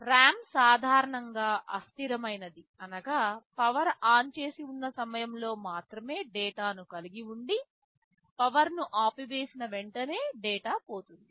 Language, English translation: Telugu, RAM are typically volatile, volatile means they retain the values only during the time the power is switched on, as soon as you switch off the power the data gets lost